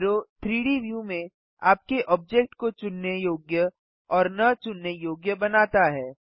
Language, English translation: Hindi, Arrow makes your object selectable or unselectable in the 3D view